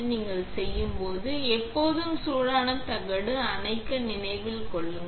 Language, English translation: Tamil, Always remember to turn off the hot plate when you are done